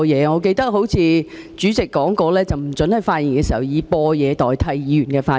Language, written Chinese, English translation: Cantonese, 我記得主席說過，議員不可以播放錄音代替發言。, I remember that the President said that Members were not allowed to play any audio recording in place of a speech